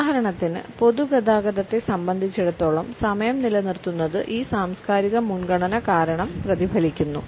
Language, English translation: Malayalam, For example, keeping the time as far as the public transport is concerned is reflected because of this cultural preference also